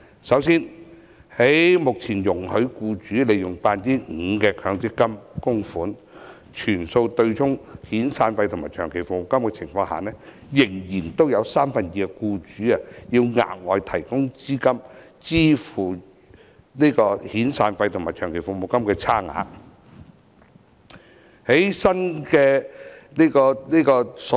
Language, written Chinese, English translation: Cantonese, 首先，在目前容許僱主利用 5% 的強積金供款全數對沖遣散費和長期服務金的情況下，仍然有三分之二的僱主需要額外提供資金支付遣散費和長期服務金的差額。, To begin with under the existing practice which allows employers to use their 5 % MPF contributions to fully offset SP and LSP two thirds of the employers still need extra money to pay the outstanding SP and LSP